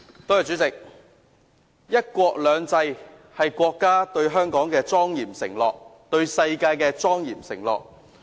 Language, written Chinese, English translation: Cantonese, 代理主席，"一國兩制"是國家對香港的莊嚴承諾，對世界的莊嚴承諾。, Deputy President one country two systems is a solemn promise made by our country to Hong Kong as well as to the world